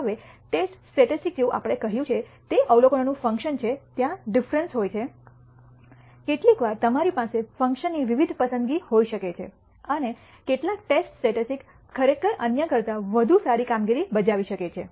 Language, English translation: Gujarati, Now, the test statistic as we said is a function of the observations there are different sometimes you might have different choices of functions, and some test statistic may actually perform better than others